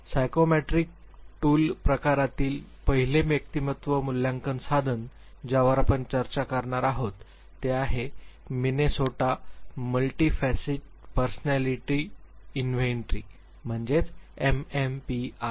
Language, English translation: Marathi, The first personality assessment tool under the psychometric tool category, that we are going to discuss is the Minnesota Multiphasic Personality Inventory; MMPI